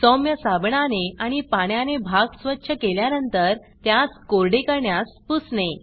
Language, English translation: Marathi, After cleaning the area with mild soap and water, wipe it dry